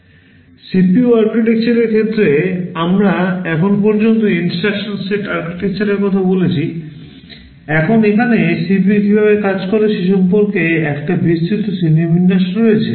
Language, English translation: Bengali, Broadly with respect to CPU architectures we are so far talking about instruction set architectures, now talking about how the CPU works there is a broad classification here